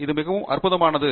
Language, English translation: Tamil, this is very exciting